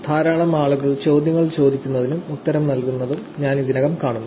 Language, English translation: Malayalam, I already see a lot of people asking questions, and trying to answer